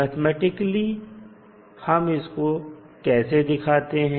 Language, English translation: Hindi, Mathematically, how we represent